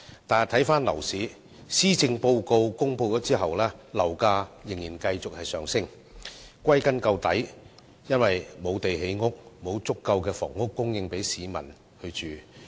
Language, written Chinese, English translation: Cantonese, 但回看樓市，在施政報告公布後，樓價仍然繼續上升，歸根結底，就是由於缺乏土地建屋，沒有足夠房屋供應給市民居住。, Back to the property market however we can see that property prices have continued to surge after the presentation of the Policy Address . All in all it is attributed to a lack of land for housing production and a short supply of housing for the public